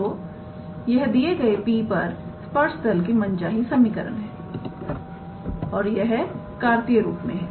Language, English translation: Hindi, So, this is the required equation of the tangent plane at the point P and of course, this is in the Cartesian form